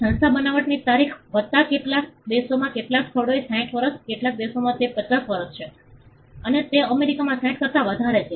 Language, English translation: Gujarati, Institution the date of creation plus 60 years in some places in some countries it is 50 in some countries, it is more than 60 in America its more than that